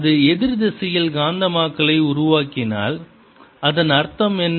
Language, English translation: Tamil, if it develops magnetization in the opposite direction, what does it mean